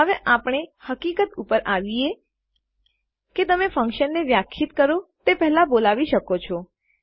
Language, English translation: Gujarati, Now well move on to the fact that, you can call a function before its been defined